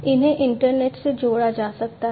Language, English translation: Hindi, These ones can be connected to the internet